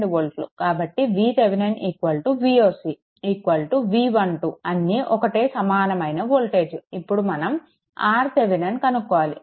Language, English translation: Telugu, This is your V Thevenin is equal to V oc is equal to V 1 2 same thing, next is we have to compute R thevenin